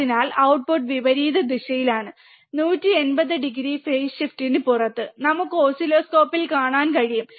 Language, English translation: Malayalam, So, that the output is inverting that is out of phase 180 degree phase shift, which we can see on the oscilloscope, right